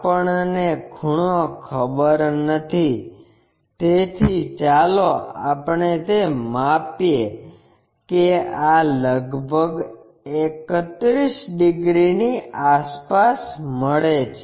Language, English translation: Gujarati, The inclination angle we do not know so let us measure that, this is around 31 degrees, this one 31 degrees